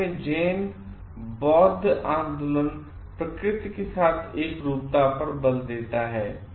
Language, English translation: Hindi, In Japan, the Zen Buddhist movement also stresses oneness with nature